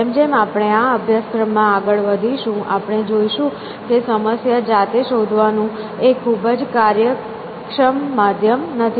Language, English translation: Gujarati, As we move along in the course, we will see that search by itself is not a very efficient means of solving problem